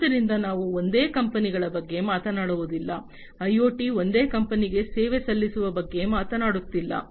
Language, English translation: Kannada, So, we were talking about that we are not talking about single companies, we are not talking about IoT serving a single company